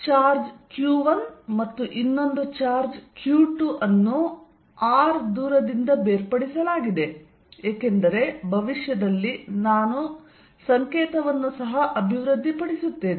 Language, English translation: Kannada, So, there is a charge q 1 and another charge q 2 separated by a distance r and for the future, because I am going to develop a notation also